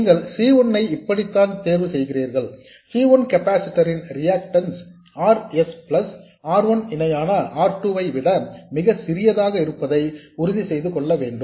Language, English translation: Tamil, So that's how you choose C1, you just have to make sure that the reactiveness of that capacitor C1 is much smaller than RS plus R1 parallel R2